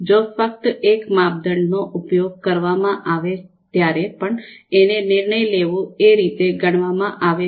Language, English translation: Gujarati, So even if we are using just one criterion, still it would be considered a decision making